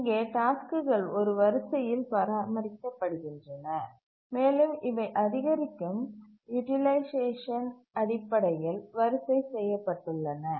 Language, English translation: Tamil, Here the tasks are maintained in a queue and these are arranged in the increasing order of their utilization